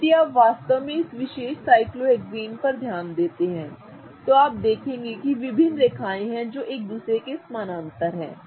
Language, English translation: Hindi, Now if you really pay attention to this particular cyclohexane you will notice that there are various lines which are very parallel to each other